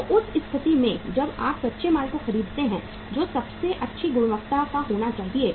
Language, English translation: Hindi, So in that case when you buy the raw material that should be of the best quality